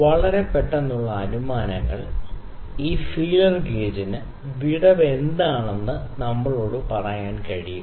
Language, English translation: Malayalam, So, very quick inferences, this feeler gauge can just tell us what is the gap